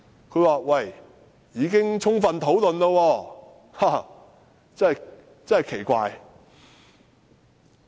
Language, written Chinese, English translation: Cantonese, 它說已經過充分討論，這真是很奇怪！, It says that the proposal has already been thoroughly discussed . This is strange!